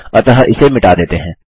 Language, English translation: Hindi, So lets just delete this